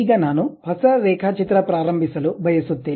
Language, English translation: Kannada, Now, I would like to begin with a new drawing